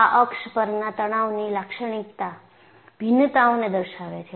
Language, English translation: Gujarati, And, this shows the typical variation of the stresses on this axis